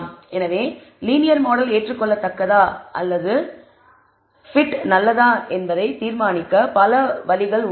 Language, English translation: Tamil, So, these are various ways by which we can decide that the linear model is acceptable or not or the t is good